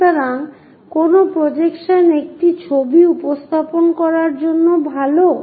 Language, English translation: Bengali, So, which projection is good to represent a picture